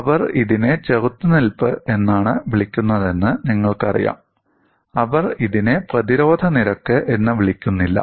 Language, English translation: Malayalam, They call it as resistance; they do not call it as resistance rate